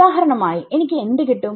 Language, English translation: Malayalam, So, for example, what I will get